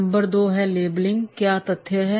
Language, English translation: Hindi, Number two, labeling, what are the facts